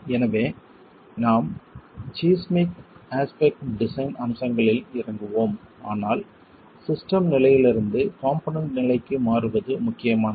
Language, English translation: Tamil, So, we will get into seismic design aspects, but the transition from the system level to the component level becomes important